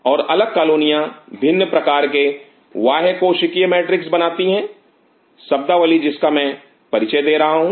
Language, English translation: Hindi, And different colonies lead to different extra cellular matrix the term which I introduce in the